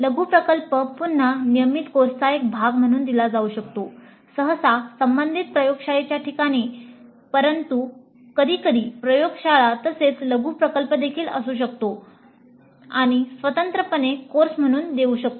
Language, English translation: Marathi, The mini project again can be offered as a part of a regular course usually in the place of an associated lab but sometimes one can have a lab as well as a mini project or it can be offered as a separate course by itself